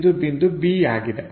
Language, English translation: Kannada, So, it goes to a b level